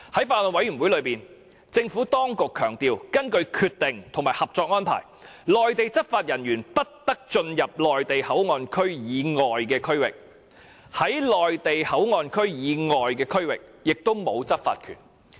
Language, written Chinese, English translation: Cantonese, 在法案委員會上，政府當局強調，根據《決定》和《合作安排》，內地執法人員不得進入內地口岸區以外的區域，在內地口岸區以外的區域也沒有執法權。, At meetings of the Bills Committee the Administration stressed that according to the Decision and the Co - operation Arrangement Mainland law enforcement officers are not allowed to enter the non - port areas nor do they have enforcement power there